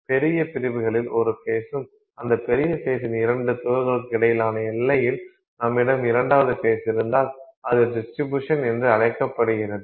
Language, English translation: Tamil, If do you have one face in larger sections and in the boundary between two particles of that larger phase you have the second phase that is present